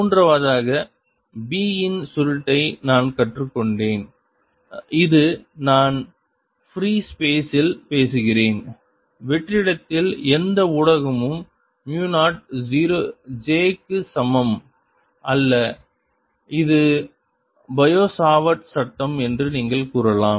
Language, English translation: Tamil, third, we have learnt that curl of b and this i am talking in free space, there's no medium in vacuum is equal to mu zero, j, which you can say is bio savart law